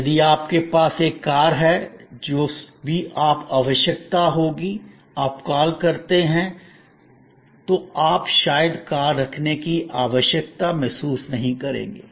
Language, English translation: Hindi, If you have a car, whenever needed, you make an call, you will perhaps do not no longer feel the need of possessing a car